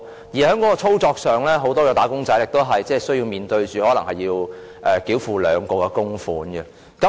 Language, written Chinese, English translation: Cantonese, 此外，在操作上，很多"打工仔"亦須面對可能須繳付兩項供款的情況。, In addition in terms of operation many wage earners will also have to face the prospect of making two sums of contributions